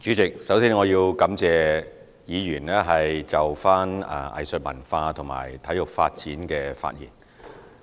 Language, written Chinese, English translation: Cantonese, 主席，首先，我要感謝議員就藝術文化和體育發展的發言。, President first of all I would like to thank Members for speaking on arts and culture and sports development